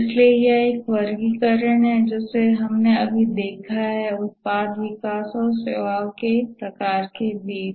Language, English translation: Hindi, One we just saw is that between the product development and services type